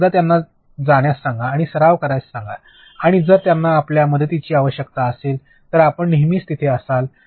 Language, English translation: Marathi, And once tell them to go and practice and if they need your help you are always there